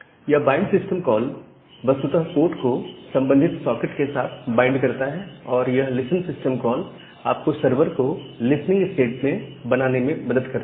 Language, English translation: Hindi, So, the bind system call actually bind the port with the corresponding socket end, and the listen system call will help you just to make the server to go in the listening state